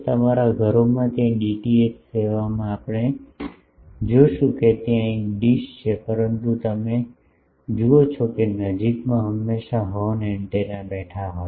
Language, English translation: Gujarati, In your homes the DTH service there also we will see that there is a dish, but you see that near that there is always sitting a horn antenna